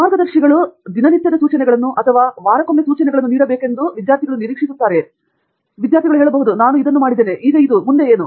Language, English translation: Kannada, They expect the guides to actually give out day to day instructions or, you know, or weekly instructions, I have done this, now what next